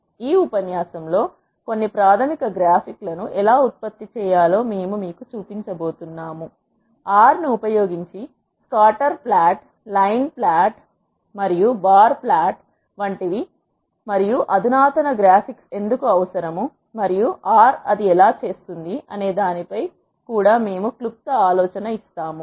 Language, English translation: Telugu, In this lecture, we are going to show you how to generate some basic graphics; such as scatter plot, line plot and bar plot using R, and we will also give a brief idea on why there is a need for more sophisticated graphics and how R does it